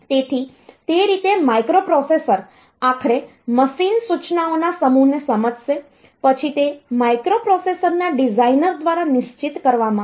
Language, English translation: Gujarati, So, that way microprocessor will finally, understand the set of machine instructions, then that is told that is fixed by the designer of the microprocessor